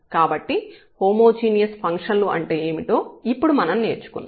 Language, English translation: Telugu, So, these are the examples of the homogeneous functions